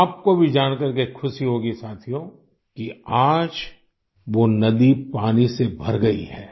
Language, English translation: Hindi, Friends, you too would be glad to know that today, the river is brimming with water